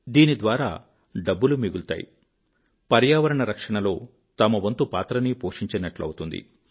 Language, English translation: Telugu, This will result in monetary savings, as well as one would be able to contribute towards protection of the environment